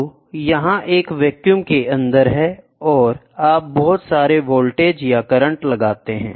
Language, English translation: Hindi, So, this is inside a vacuum and you apply lot of voltage, right voltage or current